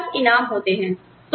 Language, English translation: Hindi, You have rewards